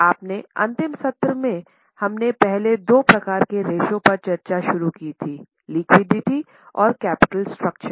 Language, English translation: Hindi, Now, in our last session, we had started discussion on first two types of ratios, that is liquidity and capital structure